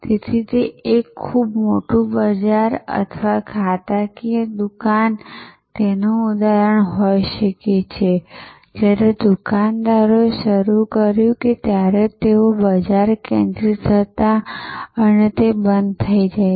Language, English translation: Gujarati, So, a very large supermarket or department store can be an example, shoppers stop when they started they were sort of market focused